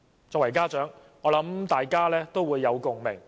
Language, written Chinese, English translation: Cantonese, 作為家長，我和大家也有共鳴。, As a parent myself I can echo members of the public